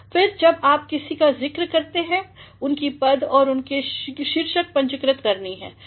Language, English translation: Hindi, Then when you are mentioning somebody, the designation and the title has to be capitalized